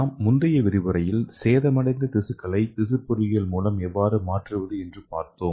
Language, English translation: Tamil, So in the previous lecture we have learnt how to replace the damaged tissue using tissue engineering approach